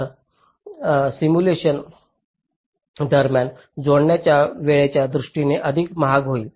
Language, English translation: Marathi, so this will be much more costly in terms of the computation time during simulation